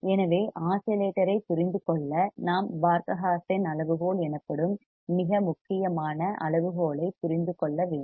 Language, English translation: Tamil, So, to understand the oscillator we must understand a very important criteria called Barkhausen criterion